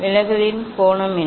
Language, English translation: Tamil, what is the angle of deviation